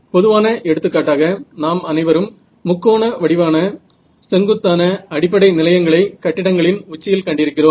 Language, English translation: Tamil, So, just a typical example, we have all seen those triangular vertical base stations right on your tops of buildings and all